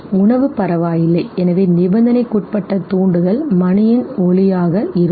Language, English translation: Tamil, The food okay, so the conditioned stimulus would be the sound of the bell